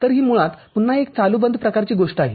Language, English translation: Marathi, So, it is basically again an on off kind of thing